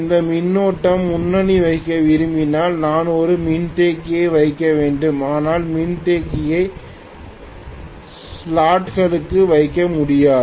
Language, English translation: Tamil, If I want this current to be leading maybe, I should put a capacitor but the capacitor cannot put inside the slots